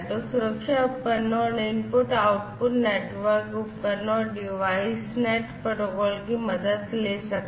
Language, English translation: Hindi, So, you know safety devices, input output networks, etcetera, could all take help of the devices and DeviceNet protocol